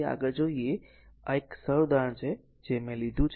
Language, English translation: Gujarati, So, next is so, this is a simple example I took for you